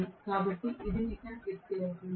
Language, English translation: Telugu, So, this will be the net power